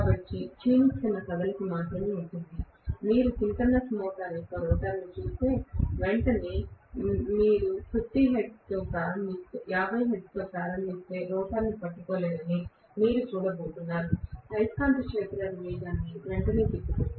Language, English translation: Telugu, So, there will be only a dwindling motion, if at all you look at the rotor of a synchronous motor, if you start off with 50 hertz right away, you are going to see that the rotor will not be able to catch up with the revolving magnetic field speed right away